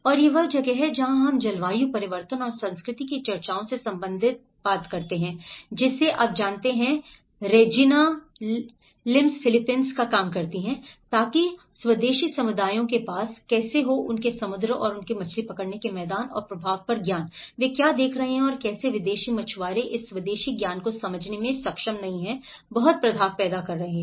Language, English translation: Hindi, And this is where we relate to the discussions of climate change and culture you know, in the Regina Lims work of Philippines so where, how the indigenous communities have the knowledge on their sea and their fishing grounds and the impact, what they are seeing and how the foreign fisherman, how they are able to not understand this indigenous knowledge and have not creating a lot of impact